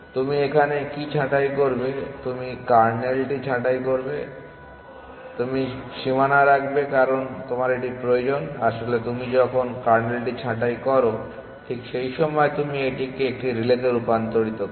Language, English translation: Bengali, What do you prune you prune the kernel you keep the boundary because you need it, in fact when you prune the kernel at that same very time you convert this into a relay